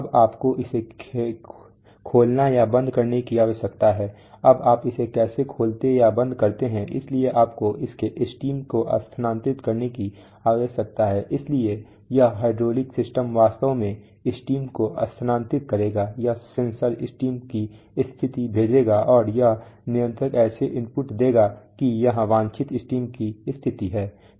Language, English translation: Hindi, Now you need to open it or close it now how do you open or close it, so you need to move its stem, so this hydraulic system will actually move the stem, this sensor will send stem position, and this controller will give input such that the, here is the desired stem position